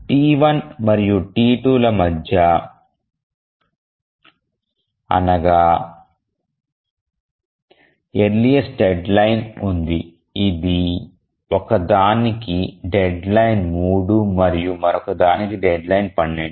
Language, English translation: Telugu, So, between T1 and T2, which has the earliest deadline, one has deadline three and the other has deadline 12